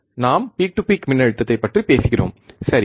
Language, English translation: Tamil, We are talking about peak to peak voltage, right